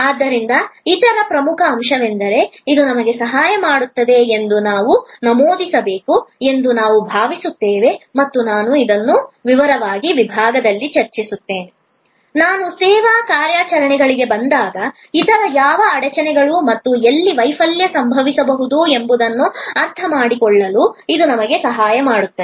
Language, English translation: Kannada, So, the other important point, I think I should mention that it also help us and I will discuss this in a detail section, when I come to service operations is that, it helps us to understand that which other bottleneck points and where failure can happened